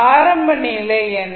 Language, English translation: Tamil, What was the initial condition